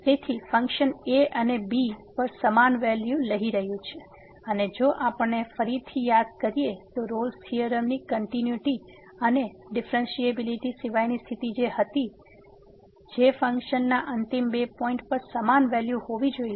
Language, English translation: Gujarati, So, the function is taking same value at and and if we recall again the condition was for Rolle’s theorem other than the continuity and differentiability that the function should be having the same value at the two end points